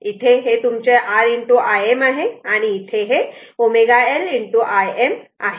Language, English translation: Marathi, So, this is this is your R, and this is j L omega